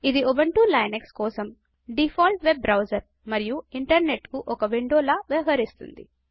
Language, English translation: Telugu, It is the default web browser for Ubuntu Linux, serving as a window to the Internet